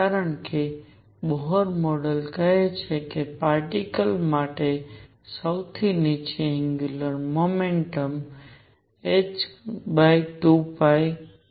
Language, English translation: Gujarati, Because Bohr model says that lowest angular momentum for a particle is h over 2 pi